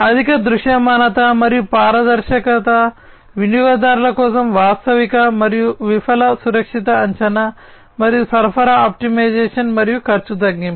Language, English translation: Telugu, Higher visibility and transparency, a realistic, and fail safe estimate for customers, and supply optimization, and cost reduction